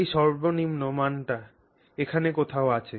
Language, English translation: Bengali, So, let's say that minimum value is somewhere here